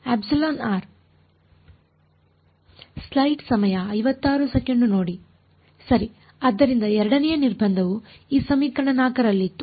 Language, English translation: Kannada, Right so, the second constraint was in this equation 4